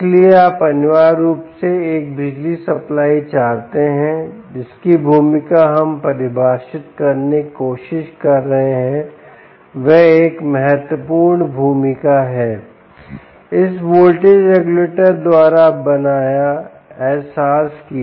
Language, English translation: Hindi, so you essentially want to have a power supply whose role which we are trying to define is an important role, implemented, realized by this voltage regulator